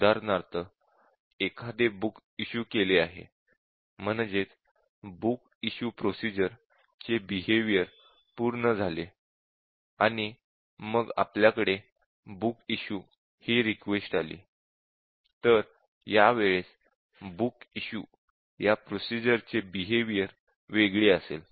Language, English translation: Marathi, For example, a book is issued out and then the behaviour of the book is issue procedure already issued out, and then we will have the book issue, behaviour of the book issue will be different